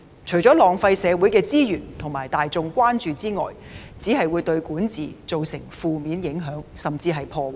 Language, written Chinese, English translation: Cantonese, 除了浪費社會資源和大眾關注外，只會對管治造成負面影響甚至破壞。, Apart from draining social resources and the energy of those members of the public who are concerned about it it will just adversely affect or even undermine governance